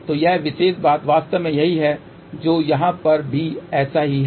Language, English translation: Hindi, So, this particular thing is actually same as this which is same as this over here